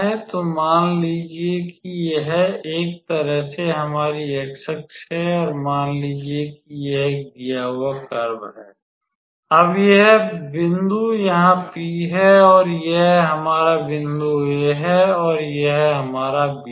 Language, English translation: Hindi, So, suppose this is our x axis in a way so, and suppose this is a given curve, now this point here is the point P and this is our point A and that is our B